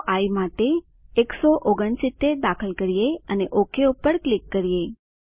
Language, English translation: Gujarati, Lets run again, lets enter 169 for i and click OK